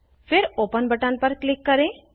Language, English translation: Hindi, Then, click on the Open button